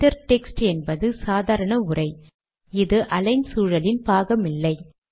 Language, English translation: Tamil, Inter text is like running text, so this is not part of the align environment